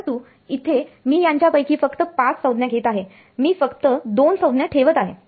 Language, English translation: Marathi, But here I am taking only out of these 5 terms I am only keeping 2 terms